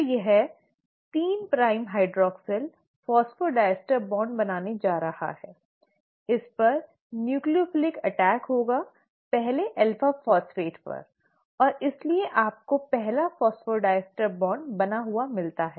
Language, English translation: Hindi, So this 3 prime hydroxyl is then going to form the phosphodiester bond, will have a nucleophilic attack on this, on the first alpha phosphate and hence you get the first phosphodiester bond formed